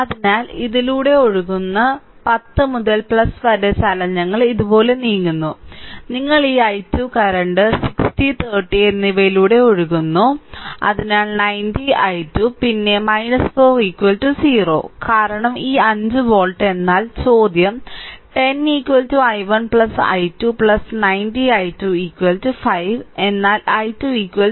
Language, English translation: Malayalam, So, i is flowing through this is i so, 10 into i right plus we are move we are moving like this; we are moving like this we are moving like this plus your this i 2 current is flowing through 60 and 30; So, 90 i2 90 i2 right, then minus 4 is equal to 0 because this 5 volt so, right but i were, but question is that 10 i is equal to i 1 plus i 2 plus 90 i 2 is equal to 5 right, but i 2 is equal to i 1